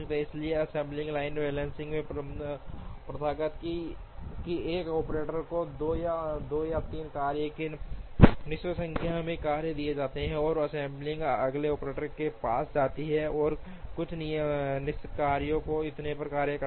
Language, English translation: Hindi, Therefore, it is customary in a assembly line balancing, that one operator is given 2 or 3 tasks or certain number of tasks, and the assembly moves to the next operator, who carries out certain number of tasks and so on